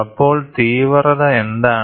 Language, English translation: Malayalam, So, what is intensity